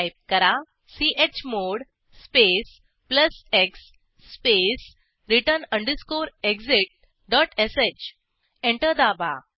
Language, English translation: Marathi, Type chmod space plus x space return underscore exit dot sh Press Enter